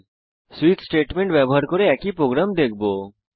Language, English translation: Bengali, We will see the same program using switch